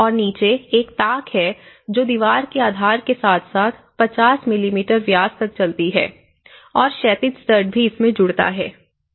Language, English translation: Hindi, And there is also in the bottom, it have a recess so it goes into the wall base and as well as 50 mm diameter, so it fix the horizontal stud as well